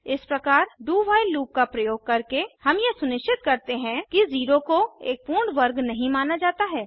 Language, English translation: Hindi, This way, by using a do while loop, we make sure that 0 is not considered as a perfect square